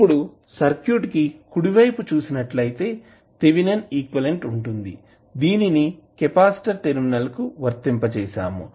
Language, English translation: Telugu, The right side of that is nothing but Thevenin equivalent which is applied across the capacitor